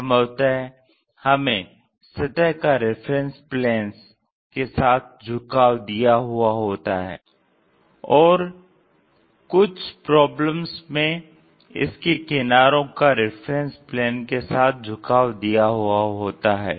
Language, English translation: Hindi, Possibly, we may have surface inclination with one of the reference planes and inclination of its edges with reference planes also available in certain cases